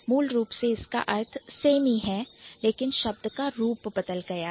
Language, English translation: Hindi, So, the meaning basically remains same, but then the form of the word had changed